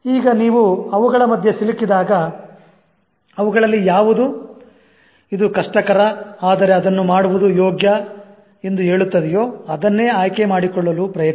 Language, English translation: Kannada, Now when you are caught between those two, always try to choose the one that is saying that it's risky but it's worth trying